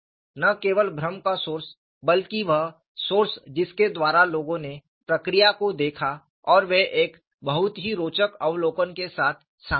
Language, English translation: Hindi, This is the source of confusion; not only the source of confusion, but the source by which people looked at the procedure, and they came out with a very interesting observation